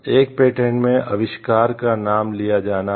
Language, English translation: Hindi, The inventor has the right to be named as such in the patent